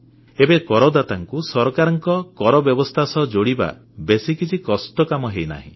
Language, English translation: Odia, Now it is not very difficult for the taxpayer to get connected with the taxation system of the government